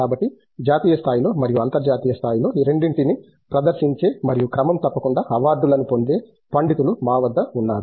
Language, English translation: Telugu, So, we do have scholars who present both at a national level and international level and regularly obtain awards